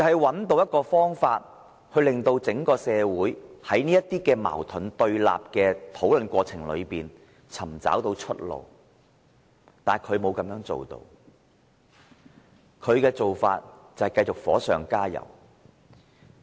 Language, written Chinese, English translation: Cantonese, 便是找出方法，令整個社會在這些矛盾對立的討論過程中找到出路，但他沒有這樣做，他的做法是繼續火上加油。, He is supposed to identify a solution to enable society as a whole to find a way out in the course of discussions over these conflicts and oppositions . Yet he has not done so . He simply added fuel to the fire